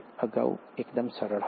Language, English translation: Gujarati, Earlier it was fairly easy